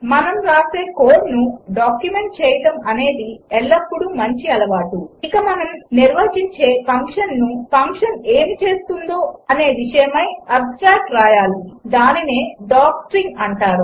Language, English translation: Telugu, It is always a good practice to document the code that we write, and for a function we define, we should write an abstract of what the function does, and that is called a docstring